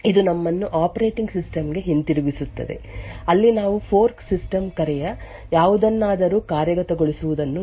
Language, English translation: Kannada, This would take us back to the operating system where we would look at the execution of something of the fork system call, so typical fork system called as you must be quite aware of would look something like this